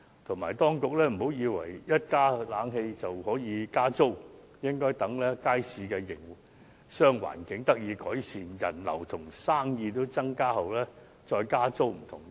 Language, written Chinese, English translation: Cantonese, 此外，當局切勿以為安裝冷氣後便能加租，應該待街市的營商環境得到改善，人流和生意均有所增加後才加租。, Besides the authorities must not think that they can raise the rents after the installation of air conditioners . They should not do so until the business environment in the market has been improved and both the visitor flow and business has increased